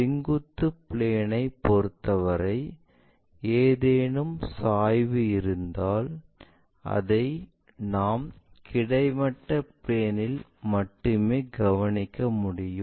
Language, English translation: Tamil, If that is the case any inclination with respect to vertical plane we can perceive it only or observe it only in the horizontal plane